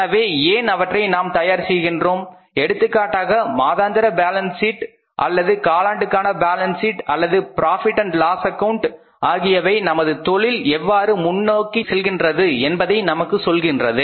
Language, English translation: Tamil, So why that we are doing that if you are preparing for example a monthly balance sheet or a quarterly balance sheet, that quarterly balance sheet and profit and loss account is going to tell us how the business is moving ahead what has happened in the past 3 months